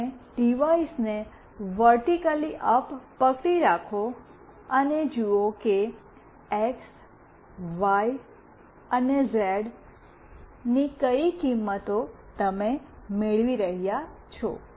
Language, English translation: Gujarati, You hold the device vertically up, and see what values of x, y, z coordinate you are getting